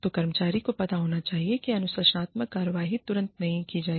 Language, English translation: Hindi, So, the employee should know, that disciplinary action will not be taken, immediately